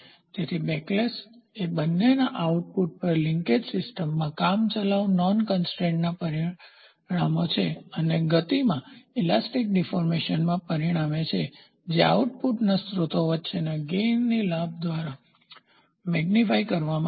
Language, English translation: Gujarati, So, the backlash is the consequences of a temporary non constrained in the linkage system at the output both backlash and the elastic deformation results in lost motion which will be amplified by an amount equal to the gain between the source in the output